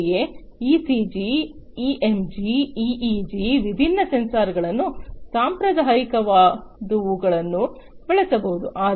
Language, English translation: Kannada, Similarly, ECG, EMG, EEG different different sensors the traditional, conventional ones could be used